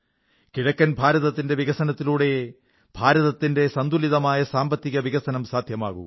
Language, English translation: Malayalam, It is only the development of the eastern region that can lead to a balanced economic development of the country